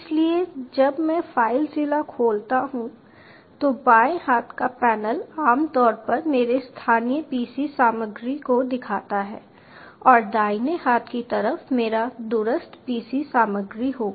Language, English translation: Hindi, so once i open the filezilla, the left hand panel generally shows my local pc ah contents and the right hand side will be my remote pc contents